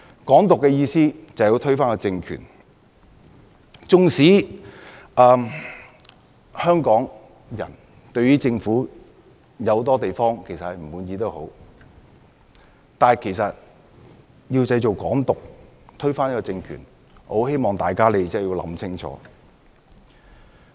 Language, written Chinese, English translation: Cantonese, "港獨"是要推翻政權，縱使香港人對政府諸多不滿，但如要製造"港獨"並推翻政權，我希望大家想清楚。, Hong Kong independence seeks to overthrow the political regime . Even though Hong Kong people are dissatisfied with the Government I urge them to think twice if some people want to create Hong Kong independence and overthrow the political regime